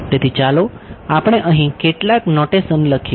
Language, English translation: Gujarati, So, let us just write down some notation over here